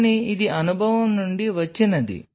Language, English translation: Telugu, But this is what comes from experience